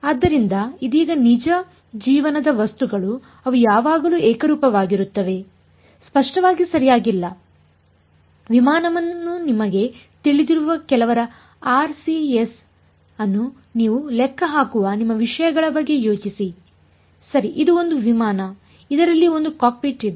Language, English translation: Kannada, So, right now real life objects will they always be homogenous; obviously not right think of your things that your calculating the RCS of some you know aircraft over here right this is some aircraft there is some cockpit over here